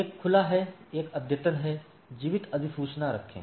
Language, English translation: Hindi, One is open; one is update, keep alive notification